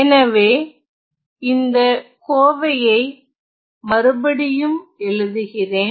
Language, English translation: Tamil, So, let me write down this expression again